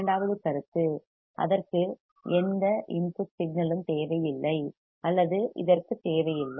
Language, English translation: Tamil, Second point it will not require or it does not require any input signal